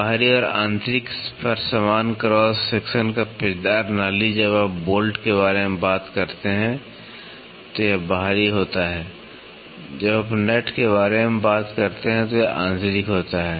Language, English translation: Hindi, Helical groove of uniform cross section on the external and internal, when you talk about bolt it is external; when you talk about nut it is internal